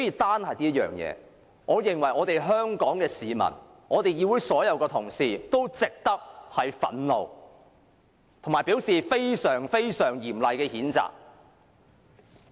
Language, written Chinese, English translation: Cantonese, 單就這點，已令全港市民及所有議員憤怒，並對他作出非常嚴厲的譴責。, This point alone has infuriated all Hong Kong people and all Members and we reprimand him severely